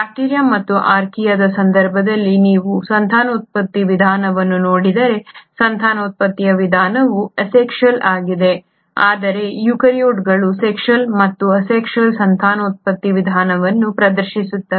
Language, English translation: Kannada, If you look at the mode of reproduction in case of bacteria and Archaea the mode of reproduction is asexual, but eukaryotes exhibit both sexual and asexual mode of reproduction